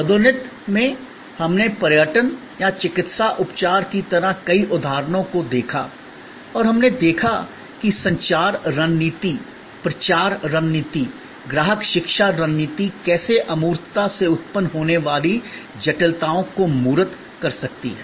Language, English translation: Hindi, In promotion, we looked at number of examples like tourism or like a medical treatment and we saw how the communication strategy, the promotion strategy, the customer education strategy can tangible the complexities arising out of intangibility